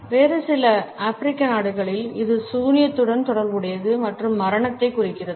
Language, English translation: Tamil, In certain other African countries, it is associated with witchcraft and symbolizes death